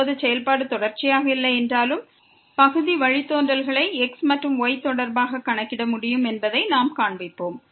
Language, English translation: Tamil, Now, we will show that though the function is not continuous, but we can compute the partial derivatives with respect to and with respect to